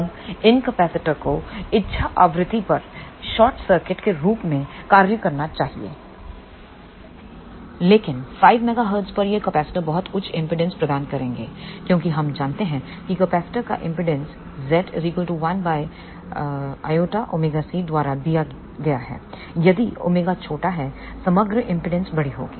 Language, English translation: Hindi, Now, these capacitors should act as short circuit at the desire frequency, but at 5 megahertz these capacitors will provide very high impedance because we know that impedance of the capacitor is given by z equal to 1 by j omega c